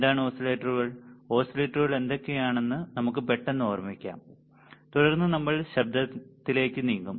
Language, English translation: Malayalam, So, let us quickly recall what are the oscillators, and what are the kind of oscillators, and then we will we will move to the noise ok